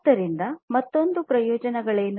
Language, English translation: Kannada, So, what are the benefits once again